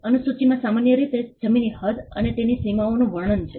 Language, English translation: Gujarati, The schedule normally has the description of the land the extent of it and the boundaries of it